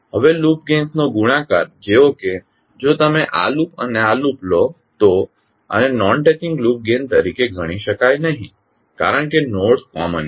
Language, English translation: Gujarati, Now the product of loop gains like if you take this loop and this loop, this cannot be considered as a non touching loop gains because the nodes are common